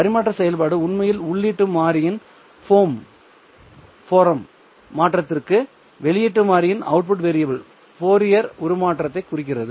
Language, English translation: Tamil, In their transfer function actually refers to the Fourier transform of the output variable to the Fourier transform of the input variable